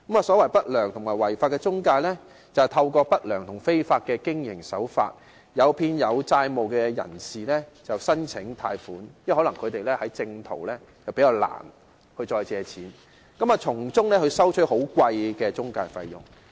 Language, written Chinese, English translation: Cantonese, 所謂不良和違法的中介，就是透過不良及違法的經營手法，誘騙有債務問題的人士申請貸款，因為他們可能較難循正途借貸，並從中收取高昂的中介費用。, Unscrupulous and illegal intermediaries use unscrupulous and illegal business practices to inveigle people with debt problems into applying for loans and to charge them exorbitant intermediary fees because it may be more difficult for them to get a loan through proper channels